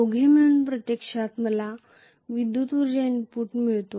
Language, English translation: Marathi, The two together actually I am getting the electrical energy input